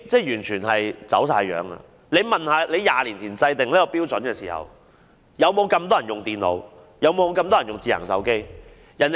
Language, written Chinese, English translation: Cantonese, 局長試想一下 ，20 年前制訂這些標準時，是否有這麼多人使用電腦和智能手機？, Will the Secretary please imagine that when such standards were set 20 years ago were there so many people using computers or smart phones?